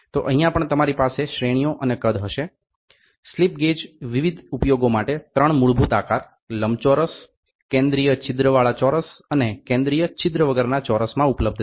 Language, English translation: Gujarati, So, here also you will have grades and sizes the slip gauges are available in 3 basic shapes rectangle, square with a central hole and square without a central hole for various application